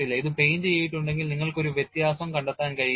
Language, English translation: Malayalam, If it is painted you will not be able to find out any difference